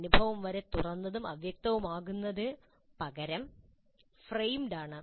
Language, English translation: Malayalam, The experience is of being too open and fuzzy is framed